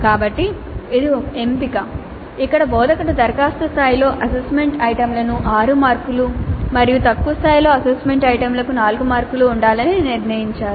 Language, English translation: Telugu, So this is one choice where the instructor has decided to have six marks for assessment items at apply level and four marks for assessment items at lower levels